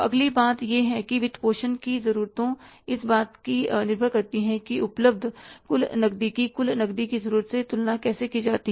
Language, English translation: Hindi, Next thing is financing requirements depend on how the total cash available compares with the total cash needed